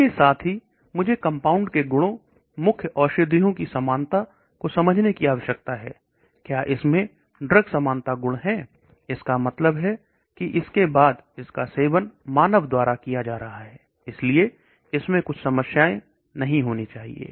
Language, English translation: Hindi, Simultaneously, I need to understand the properties of the compound, the lead drug likeness, does it have the drug likeness properties, that means after all it is going to be consumed by human, so it should not have certain problems